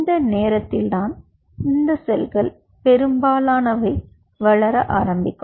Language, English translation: Tamil, it is during this time most of these cells will